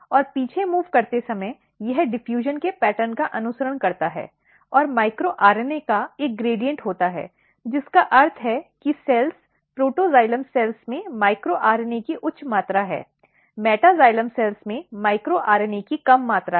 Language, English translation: Hindi, And while moving back, it follows the pattern of diffusion and there is a gradient of micro RNA, which means that the cells, protoxylem cells has high amount of micro RNA, meta xylem cells has low amount of micro RNA